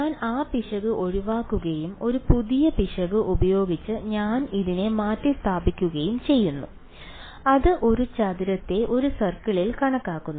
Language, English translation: Malayalam, I get rid of that error and I replace it by a new error which is approximating a square by a circle